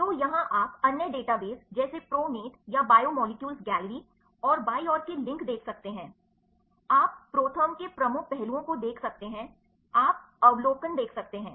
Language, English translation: Hindi, So, here you can see the links with the other databases like pronate or biomolecules gallery, and left side, you can see the major aspects of ProTherm, you can see the overview